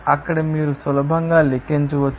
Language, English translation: Telugu, there you can easily calculate